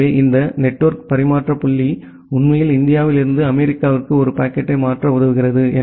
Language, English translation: Tamil, So, this network exchange point actually helps you to transfer a packet from say from India to USA